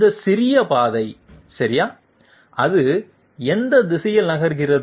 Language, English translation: Tamil, This small path okay, in which direction does it move